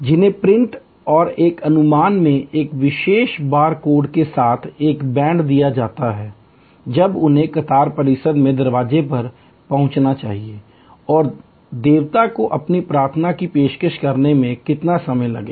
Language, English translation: Hindi, They are given a band with a particular bar code in print and an estimate, when they should arrive at the queue complex door and how long it will take them to offer their prayers to the deity